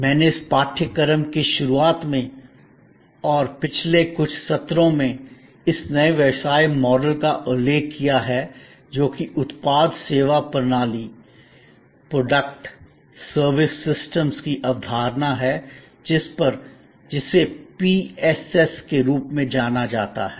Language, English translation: Hindi, I have referred to this new business model in my introduction to this course as well as over the last few sessions, which is the concept of Product Service Systems, in short often known as PSS